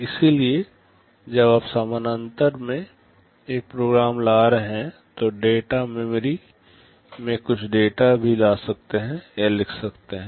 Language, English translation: Hindi, So, while you are fetching a program in parallel you can also fetch or write some data into data memory